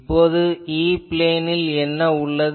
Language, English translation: Tamil, So, now your what will be your E plane thing